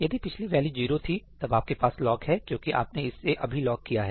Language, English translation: Hindi, If the previous value was 0, then you have the lock because you have just locked it